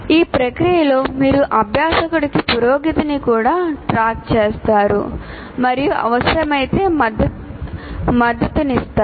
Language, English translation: Telugu, And then in the process you also track the learners progress and provide support if needed